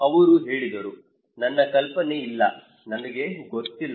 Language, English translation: Kannada, He said hey, I have no idea man, I do not know